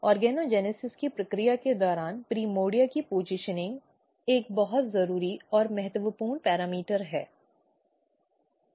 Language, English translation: Hindi, So, basically the positioning the primordia is another very important and critical parameter during the process of organogenesis